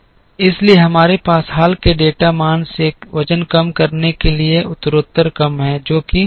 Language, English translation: Hindi, So, we have progressively decreasing weights from the more recent data value which is 27 to the past